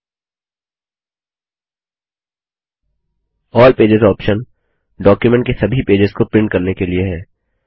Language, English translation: Hindi, The All pages option is for printing all the pages of the document